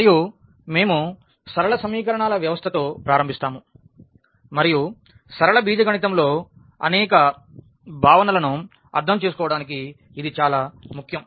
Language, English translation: Telugu, And, we will start with the system of linear equations and again this is a very important to understand many concepts in linear algebra